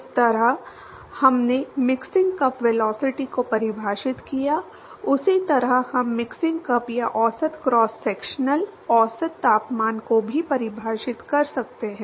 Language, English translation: Hindi, Just like how we defined mixing cup velocity, we can also define what is called the mixing cup or the average cross sectional average temperature